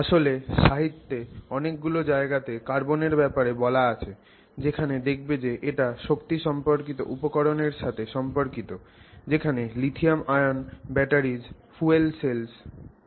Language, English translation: Bengali, They are actually number of areas where carbon shows up in the literature you will find it associated with say energy related materials for lithium ion batteries for fuel cells